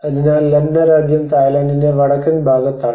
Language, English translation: Malayalam, So the Lanna Kingdom is in a northern part of the Thailand